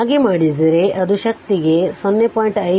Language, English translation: Kannada, If you do so it will be 0